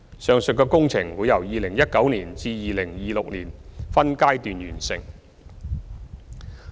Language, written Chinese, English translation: Cantonese, 上述的工程會由2019年至2026年分階段完成。, The aforesaid works will be completed in stages between 2019 and 2026